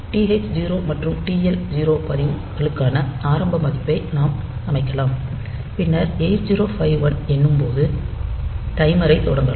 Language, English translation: Tamil, And we can set the initial value for the registers TH0 and TL0, then we can start the timer when 8051 counts up